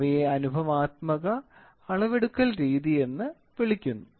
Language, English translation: Malayalam, So, those things are called empirical methods of measurement